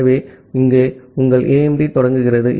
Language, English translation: Tamil, So, here your AIMD starts